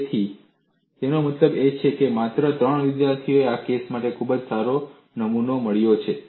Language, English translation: Gujarati, So, that means only three students have got very good specimen made for this case